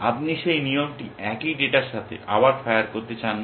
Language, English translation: Bengali, You do not want that rule to fire again essentially with the same piece of data